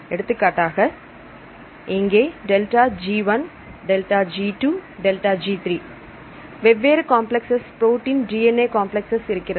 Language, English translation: Tamil, So, for example, here delta ΔG1 ΔG2 ΔG3 for different complexes right; protein DNA complexes